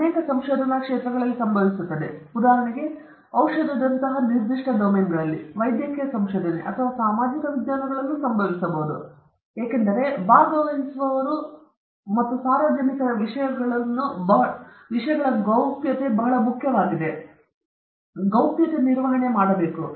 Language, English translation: Kannada, In many domains of research this happens, because particularly, for instance, in certain domains like medicine, a medical research or even in social sciences this can happen, because confidentiality of participants or subjects are very important; privacy of participants have to be maintained